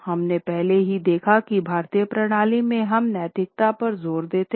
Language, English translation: Hindi, We have also already seen how in Indian system we emphasize on ethics and moral